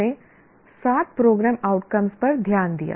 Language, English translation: Hindi, So we looked at the seven program outcomes